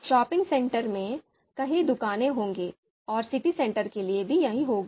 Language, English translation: Hindi, In the shopping center, there would be a number of shops there, you know same goes for city center